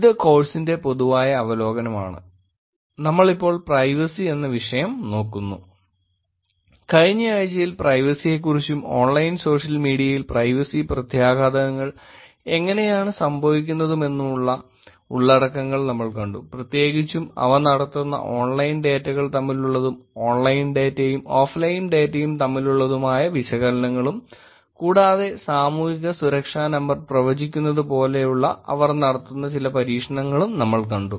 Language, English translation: Malayalam, Last time in the week we saw the content about privacy and how privacy implications are going on Online Social Media, in particular we saw some experiments where they are done, an analysis of data from online and online, offline and online and sometimes looking at predicting the Social Security Number also